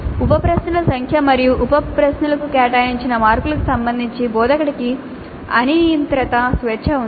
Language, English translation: Telugu, Practically it's arbitrary, the instructor has unrestricted freedom with respect to the number of sub questions and the marks allocated to each sub question